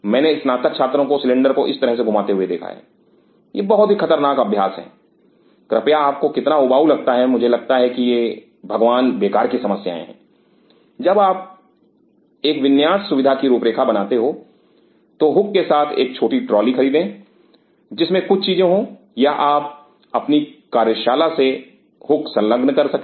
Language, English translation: Hindi, I have seen graduate students rolling the cylinder moving them like this, it is a very dangerous practice please how much you have boring I sounds these are the god damn problems please when you design a layout facility buy a small trolley with hooks there are things or you can attach hook from your work shop